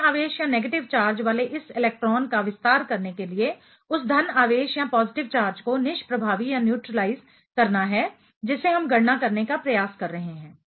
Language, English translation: Hindi, To what extend this electron that is negative charge is neutralizing the positive charge that is what we are trying to calculate